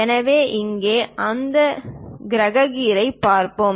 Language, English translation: Tamil, So, here let us look at that planetary gear